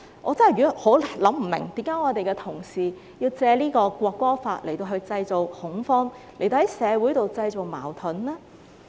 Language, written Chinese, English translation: Cantonese, 我真的想不通為何同事要藉《條例草案》來製造恐慌，製造社會矛盾呢？, I really cannot figure out why Honourable colleagues have to make use of the Bill to create panic and social conflicts